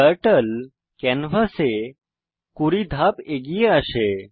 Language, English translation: Bengali, Turtle moves 20 steps forward on the canvas